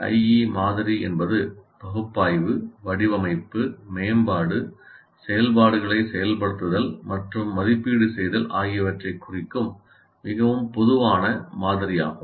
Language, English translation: Tamil, And the ADI is a very generic model representing analysis, design, development, implement and evaluate activities